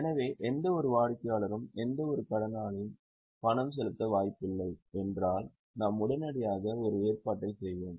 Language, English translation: Tamil, So, any customer, any debtor, if is likely to not pay, we will immediately make a provision